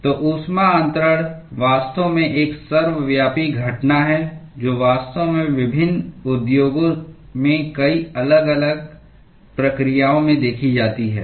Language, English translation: Hindi, So, the heat transfer is actually a ubiquitous phenomenon which is actually seen in many different processes in different industries